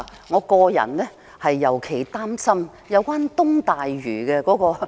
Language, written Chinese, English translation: Cantonese, 我個人尤其擔心東大嶼的資金安排。, Personally I am particularly concerned about the funding arrangements for East Lantau